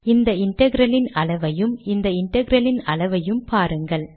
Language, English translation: Tamil, Note the size of this integral size and this integral